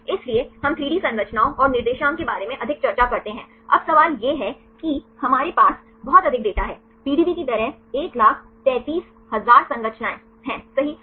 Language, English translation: Hindi, So, we discuss more about 3D structures and the coordinates, now the question is we have a lot of data; like the PDB contains 133,000 structures right